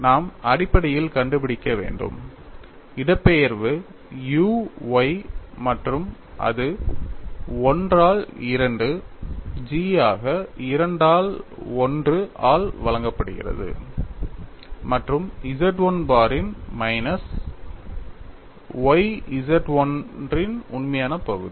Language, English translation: Tamil, We have to essentially find out, what is the displacement u y, and that is given as 1 by 2 G into 2 by 1 plus nu imaginary part of Z 1 bar minus y real part of Z 1